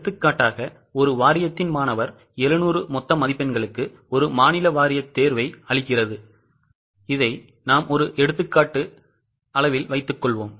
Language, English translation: Tamil, For example, suppose a student of one board, a state board gives an exam for 700 total marks of 700